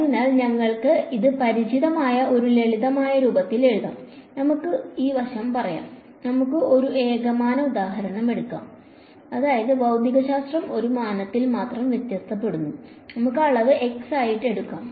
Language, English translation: Malayalam, So, we will write this in a familiar simpler form, let us this side say take let us take a one dimensional example; that means, the physics varies only in one dimension let us take the dimension to be x